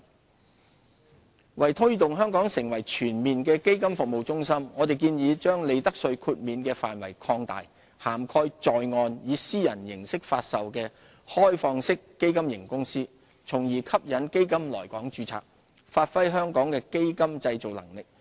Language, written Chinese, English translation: Cantonese, 基金業為推動香港成為全面的基金服務中心，我們建議把利得稅豁免的範圍擴大，涵蓋在岸以私人形式發售的開放式基金型公司，從而吸引基金來港註冊，發揮香港的基金製造能力。, Fund Industry To facilitate Hong Kongs development into a full - fledged fund service centre we propose to extend the profits tax exemption to onshore privately - offered open - ended fund companies . The proposal will help attract more funds to domicile in Hong Kong and build up Hong Kongs fund manufacturing capabilities